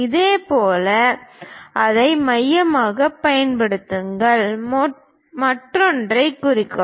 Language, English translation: Tamil, Similarly, use that one as centre; mark other one